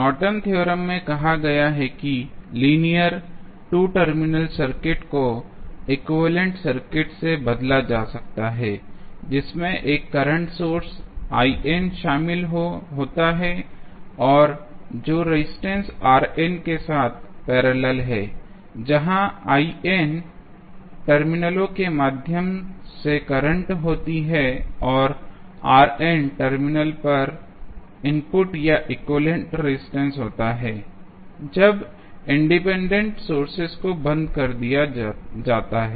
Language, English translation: Hindi, So, let us see the Norton’s theorem which we discuss in the last class, let us recap the Norton's theorem which we discussed in last class, which states that the linear 2 terminal circuit can be replaced by an equivalent circuit consisting of a current source I n in parallel with resistor rn where I n is this short circuit current through the terminals and R n is the input or equivalent resistance at the terminals, when independent sources are turned off